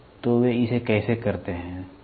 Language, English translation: Hindi, So, how do they do it, right